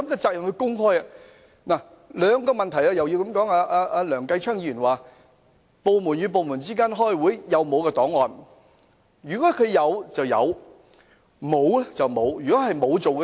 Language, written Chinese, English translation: Cantonese, 就這兩個問題，梁繼昌議員提及部門與部門之間開會時沒有備存檔案的問題。, Regarding these two issues Mr Kenneth LEUNG has mentioned the problem of not keeping a file when meetings are held between departments